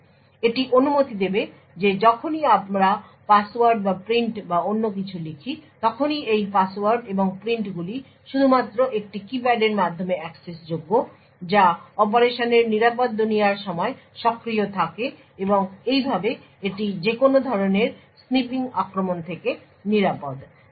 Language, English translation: Bengali, So, this would permit that whenever we enter passwords or prints or anything else so these passwords and prints are only accessible through a keypad which is enabled during the secure world of operation and thus it is also secure from any kind of snipping attacks